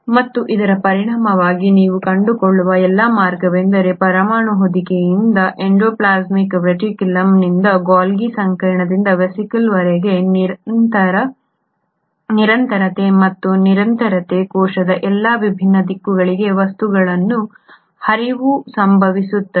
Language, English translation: Kannada, And as a result what you find is all the way from the nuclear envelope to the endoplasmic reticulum to the Golgi complex to the vesicle there is a continuity and there is a continuity and the flow of material happening to all different directions of the cell